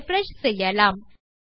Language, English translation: Tamil, And we can refresh that